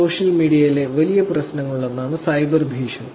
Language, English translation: Malayalam, Cyber bullying is one of the big problems on social media also